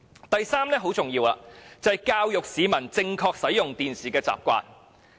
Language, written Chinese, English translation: Cantonese, 第三點很重要，就是教育市民正確使用電視機的習慣。, The third point is very important . The Government should educate the public on the proper use of TVs